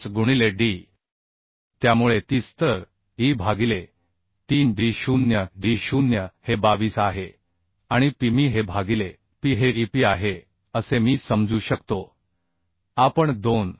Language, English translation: Marathi, 5 into d so 30 so e by 3d0 d0 is 22 and P by P I can consider this is e P we can consider 2